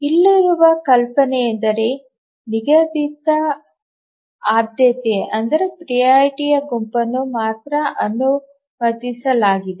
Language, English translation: Kannada, The idea here is that we allow only a fixed set of priority